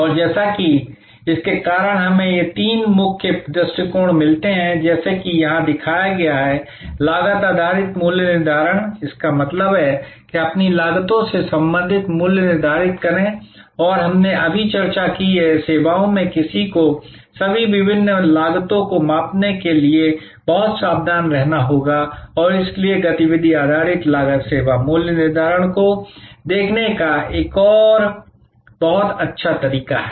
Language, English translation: Hindi, And as because of that, we get these three main approaches as shown here, cost based pricing; that means, set prices related to your costs and we discussed just now that in services one has to be very careful to measure all the different costs and so activity based costing is a very good way of looking at service pricing